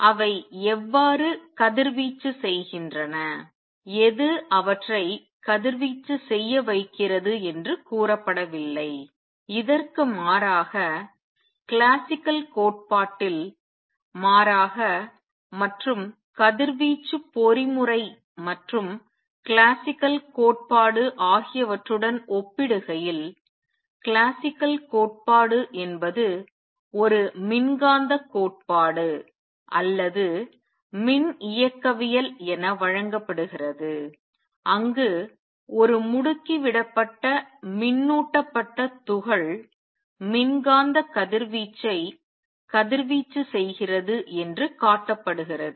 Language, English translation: Tamil, It has not been said how they radiate what makes them radiate and so on, contrast that with classical theory contrast this with classical theory and the radiation mechanism and classical theory is given an electromagnetic theory or electrodynamics where it is shown that an accelerating charged particle radiates electromagnetic radiation